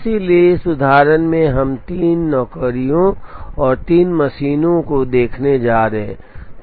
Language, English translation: Hindi, So in this example, we are going to look at three jobs and three machines